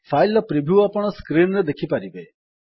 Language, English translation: Odia, You see that the preview of the file on the screen